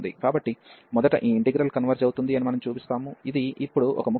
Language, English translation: Telugu, So, first we will show that this integral converges, which is a trivial task now